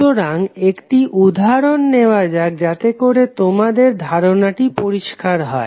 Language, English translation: Bengali, So, let us take an example so that you can understand the concept clearly